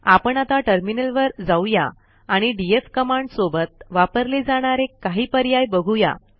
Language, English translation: Marathi, Let us shift to the terminal, I shall show you a fewuseful options used with the df command